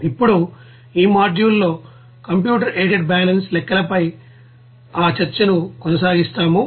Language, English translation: Telugu, Now this module we will continue that discussion on computer aided balance calculations